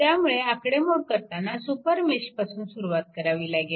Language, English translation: Marathi, So, it is computing with beginning with a super mesh